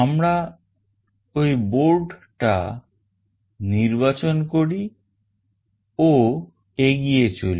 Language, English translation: Bengali, We select that board and then we move on